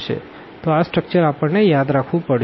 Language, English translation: Gujarati, So, this structure we must keep in mind